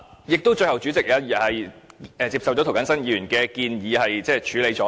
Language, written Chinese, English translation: Cantonese, 最後，代理主席接受了涂謹申議員的建議，並予以處理。, Finally the Deputy Chairman accepted the suggestion made by Mr James TO and tackled the issue